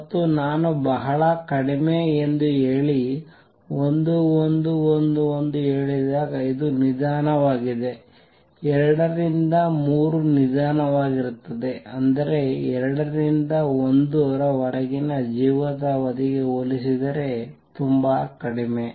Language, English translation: Kannada, And when I say very short that means, this is slow, 2 to 3 is slow; that means much less compare to life time from 2 to 1